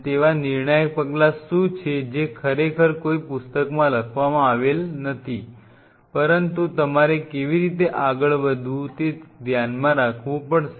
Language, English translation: Gujarati, What are those critical steps which will not be really written in a book, but you kind of have to keep in mind how to move